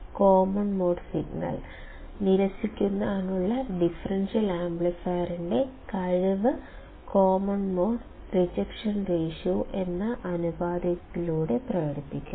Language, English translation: Malayalam, The ability of a differential amplifier to reject common mode signal is expressed by a ratio called common mode rejection ratio